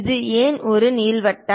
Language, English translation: Tamil, Why it is ellipse